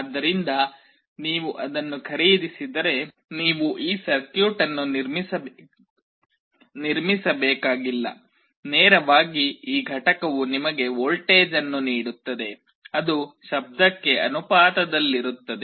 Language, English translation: Kannada, So, if you buy it you need not have to construct this circuit, directly this unit will give you a voltage that will be proportional to the sound